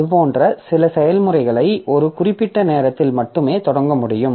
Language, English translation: Tamil, So, like that, maybe some processes we can start only at some particular time